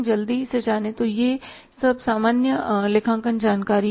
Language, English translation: Hindi, Quickly this is all the general accounting information